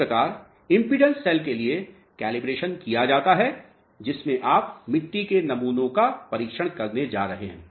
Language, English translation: Hindi, So, this is how the calibration is done for the impedance cells in which you are going to test the soil samples